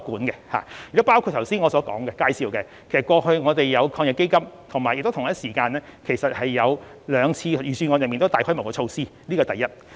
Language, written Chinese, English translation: Cantonese, 正如我剛才所作介紹，我們過去已透過防疫抗疫基金及最近兩年的預算案，推出極具規模的紓緩措施。, As mentioned just now massive relief measures have already been rolled out through the Anti - epidemic Fund and the Budgets delivered in these two years